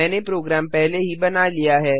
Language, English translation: Hindi, I have already made the program